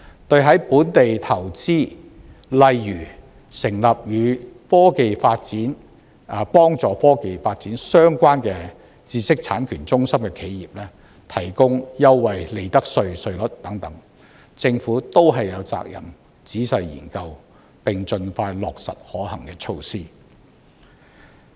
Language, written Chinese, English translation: Cantonese, 對在本地投資，例如成立與科技發展、幫助科技發展相關的知識產權中心的企業，提供優惠利得稅稅率等，政府均有責任仔細研究，並盡快落實可行措施。, The Government is duty - bound to carefully look into measures such as giving preferential profits tax rates to enterprises which invest in Hong Kong such as those setting up technology - related businesses or setting up intellectual property rights centres that help technology development and to roll out the feasible measures as soon as practicable